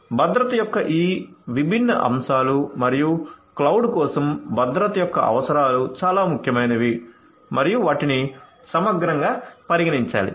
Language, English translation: Telugu, So, all of these different you know aspects of security and the requirements of security for cloud are very important and has to be considered holistically